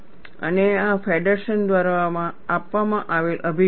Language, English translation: Gujarati, And this is the approach, given by Feddersen